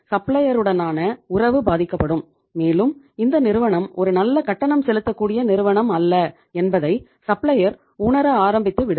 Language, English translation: Tamil, And that supplier, relationship with the supplier will sour and that supplier may also start feeling that this firm is not a good pay master